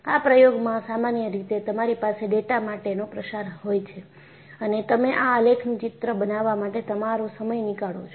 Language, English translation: Gujarati, So, in an experiment, normally, you will have scatter of data and you take your time to make a sketch of this graph